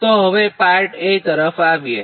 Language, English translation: Gujarati, now come to the part a